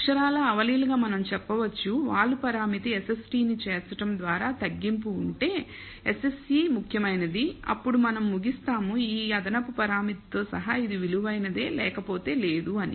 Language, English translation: Telugu, Literally intuitively we can say that if the reduction by including the slope parameter that is SST minus SSE is significant, then we conclude it is worthwhile including this extra parameter, otherwise not